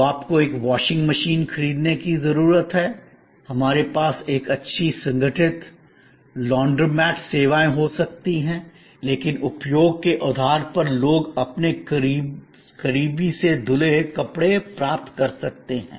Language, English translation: Hindi, So, you need buy a washing machine, we can have a good organize Laundromat services, but people can get their close done washed on per unit of usage basis